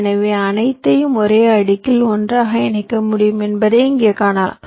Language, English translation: Tamil, so here, as you can see, that it is possible to put all of them together on the same layer